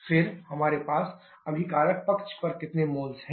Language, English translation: Hindi, Then how many moles we have on the reactant side